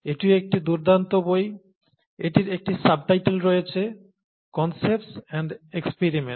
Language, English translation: Bengali, This is also a nice book; it has a subtitle ‘Concepts and Experiments’